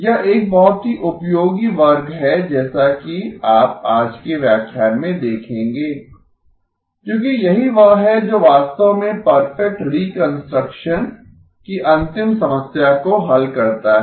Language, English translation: Hindi, This is a very useful class as you will see in today's lecture because this is what actually solves the final problem of perfect reconstruction